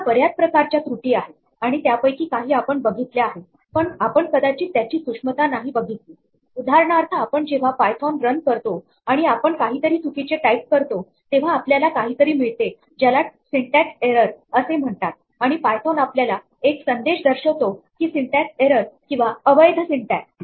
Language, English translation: Marathi, Now, there are many different types of errors and some of these we have seen, but we may not have noticed the subtelty of these for example, when we run python and we type something which is wrong, then we get something called a syntax error and the message that python gives us is syntax error invalid syntax